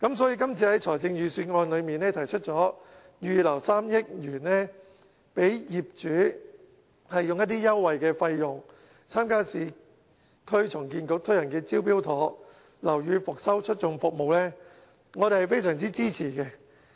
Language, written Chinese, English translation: Cantonese, 所以在今次的預算案中，提出預留3億元讓業主以優惠費用，參加市區重建局推行的"招標妥"樓宇復修促進服務，我們是非常支持。, So we fully support the proposal in the Budget this year to earmark 300 million to allow owners to participate in the Smart Tender Building Rehabilitation Facilitating Services Scheme run by the Urban Renewal Authority at a concessionary rate